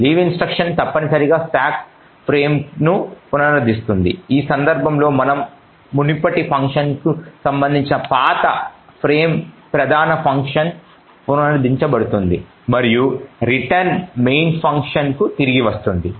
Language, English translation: Telugu, The leave instruction essentially restores the stack frame such that the old frame corresponding to the previous function in this case the main function is restored, and the return would then return back to the main function